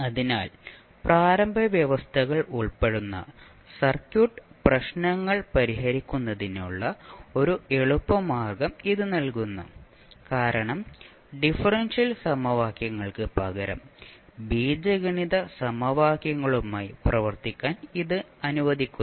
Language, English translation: Malayalam, So it provides an easy way to solve the circuit problems involving initial conditions, because it allows us to work with algebraic equations instead of differential equations